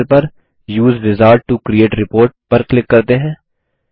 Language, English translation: Hindi, On the right panel, let us click on Use Wizard to create report